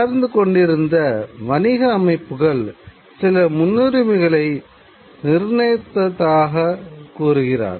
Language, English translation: Tamil, And it says that the expanding commercial system was had set certain priorities